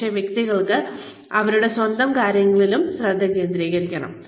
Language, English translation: Malayalam, But, individuals could also be focusing on their own selves